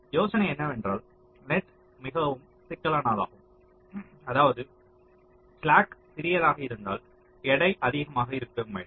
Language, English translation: Tamil, so the idea is that the more critical the net that means smaller slack the weight should be greater